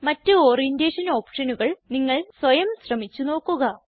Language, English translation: Malayalam, You can explore the other Orientation options on your own